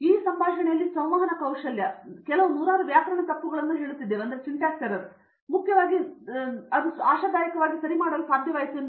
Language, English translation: Kannada, Communication skill in this conversation, I would have made say some hundreds of grammatical errors with that mainly we are able to convey hopefully right